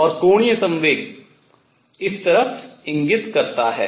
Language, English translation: Hindi, And the angular momentum point in this way k h cross